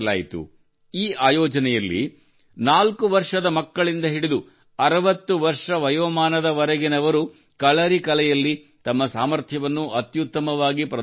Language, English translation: Kannada, In this event, people ranging from 4 years old children to 60 years olds showed their best ability of Kalari